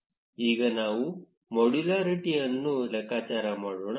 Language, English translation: Kannada, Now, let us compute modularity